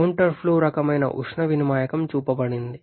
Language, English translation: Telugu, A counter flow kind of heat exchanger is shown